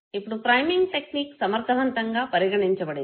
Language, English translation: Telugu, Now priming is considered to be most effective, when it is used